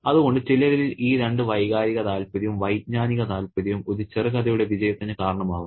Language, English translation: Malayalam, So, in sum, these two the emotional interest and the cognitive interest are responsible for the sexes of a particular short story